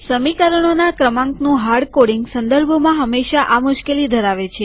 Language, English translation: Gujarati, Hardcoding of equation numbers in referencing always has this problem